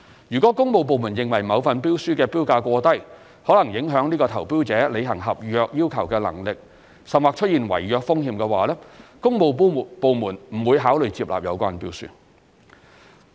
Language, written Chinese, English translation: Cantonese, 如果工務部門認為某份標書的標價過低，可能影響該投標者履行合約要求的能力，甚或出現違約風險，工務部門將不會考慮接納有關標書。, If the works department considers the tender price unreasonably low which may affect the bidders capability to fulfil the contract requirements or even pose a risk of contract default the department will not accept the tender